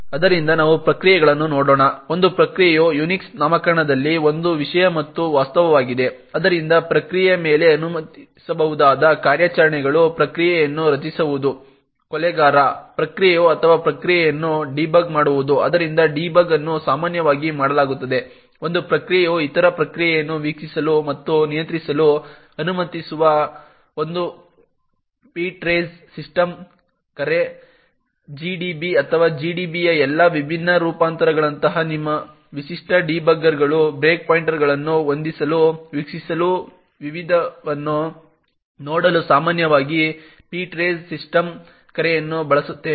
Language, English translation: Kannada, So let us look at processes, a process is both a subject and object in the UNIX nomenclature, so the operations that can be permitted on a process is to create a process, killer process or debug a process, so a debug is typically done with a ptrace system call that allows one process to observe and control the other process, your typical debuggers such as the GDB or all the different variants of GDB would typically use the ptrace system call in order to set a breakpoints, watch, look at the various memory locations, read the register contents and so on for the child process